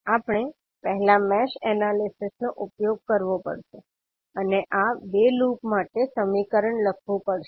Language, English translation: Gujarati, We have to first use the mesh analysis and write the equation for these 2 loops